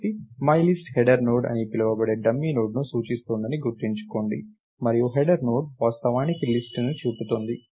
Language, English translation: Telugu, So, remember myList is pointing to a dummy Node called the header Node, and the header Node is actually pointing to the list